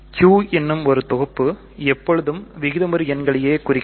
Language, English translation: Tamil, So, the set of rational numbers Q always stands for set of rational numbers